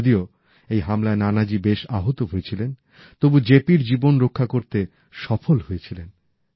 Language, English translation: Bengali, Nanaji Deshmukh was grievously injured in this attack but he managed to successfully save the life of JP